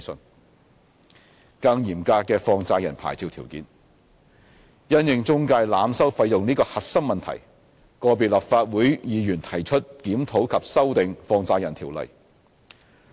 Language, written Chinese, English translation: Cantonese, d 更嚴格的放債人牌照條件因應中介濫收費用這個核心問題，個別立法會議員提出檢討及修訂《放債人條例》。, d More stringent licensing conditions on money lender licences In light of the core problem of overcharging by intermediaries individual Members of the Legislative Council have proposed to review and amend the Money Lenders Ordinance